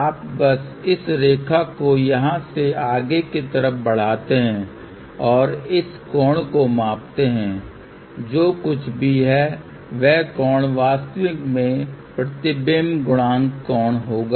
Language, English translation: Hindi, You simply extend this line over here and measure this angle, whatever is that angle will be the actually reflection coefficient angle